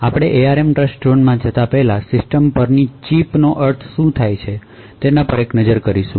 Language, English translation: Gujarati, Before we go into the ARM Trustzone we will take a look at what the System on Chip means